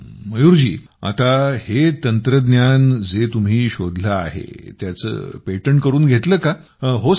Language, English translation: Marathi, Now this technology which you have developed, have you got its patent registered